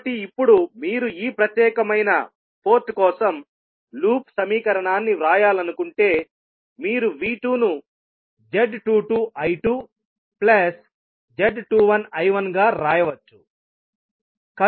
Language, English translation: Telugu, So now, if you want to write the loop equation for this particular port so you can write V2 is nothing but Z22 I2 plus Z21 I1